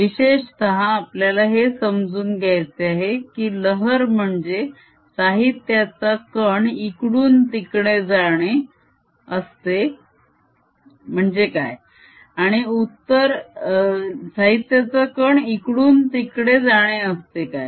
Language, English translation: Marathi, in particular, we want to understand: does a wave mean that a material particle moves from one place to another